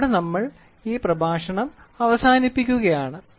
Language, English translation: Malayalam, So, with this we will come to an end of this lecture